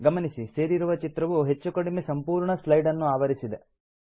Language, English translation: Kannada, Notice that the inserted picture covers almost the whole slide